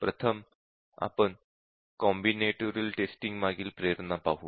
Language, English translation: Marathi, First, let us look at the motivation behind combinatorial testing